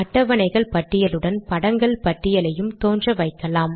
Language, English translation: Tamil, I can also make this list of figures appear along with the list of tables